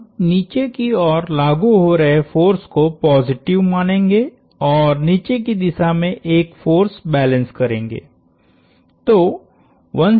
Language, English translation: Hindi, We are going to assume downward forces positive and do a force balance in the downward direction